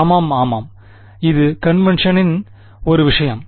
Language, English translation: Tamil, Yeah, yeah it is just a matter of convention